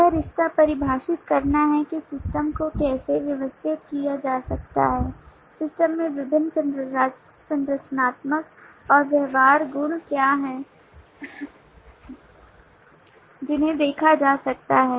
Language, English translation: Hindi, the relationship defines how the system can be organized, what are the different structural and behavioral properties in the system that can be observed